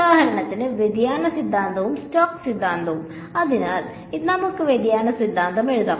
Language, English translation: Malayalam, For example, the divergence theorem and Stokes theorem right; so, let us just write down divergence theorem